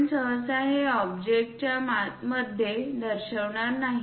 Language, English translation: Marathi, We usually do not show it here inside the object